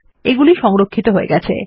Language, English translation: Bengali, Thats what has been stored